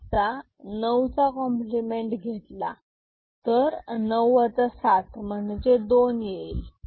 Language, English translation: Marathi, So, 9’s compliment of 7 is 9 minus 7 it is 2 ok